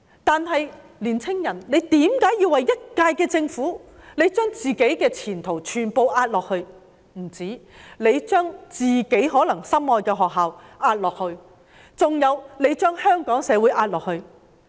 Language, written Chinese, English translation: Cantonese, 但是，青年人為何要為了一屆政府，而將自己的前途全部押下去，更將自己心愛的學校押下去，還有將香港社會押下去？, However why are the young people betting on their own future their beloved universities and the Hong Kong society just because of a term of government?